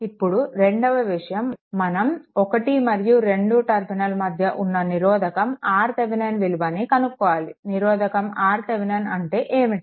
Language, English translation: Telugu, Now, second thing is now we have to get the R Thevenin also here, your in between terminal 1 and 2, what is the R thevenin